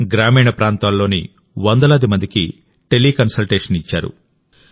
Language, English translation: Telugu, He has provided teleconsultation to hundreds of people in rural areas